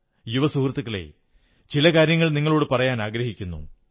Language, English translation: Malayalam, Young friends, I want to have a chat with you too